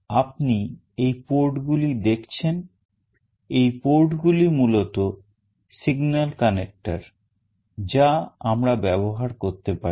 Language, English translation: Bengali, You can see these ports; these ports are basically signal connector that we can use